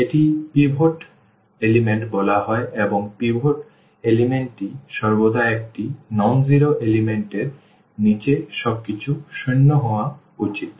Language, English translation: Bengali, This is called the pivot element and pivot element is always non zero element and below this everything should be zero